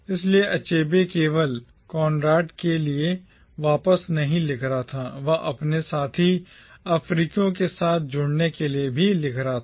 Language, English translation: Hindi, So Achebe was not merely writing back to Conrad, he was also writing to engage with his fellow Africans